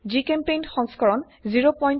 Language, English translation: Assamese, GChemPaint version 0.12.10